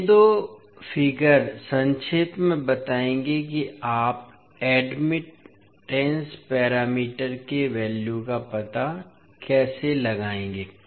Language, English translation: Hindi, So, these two figures will summarize, how you will find out the values of the admittance parameters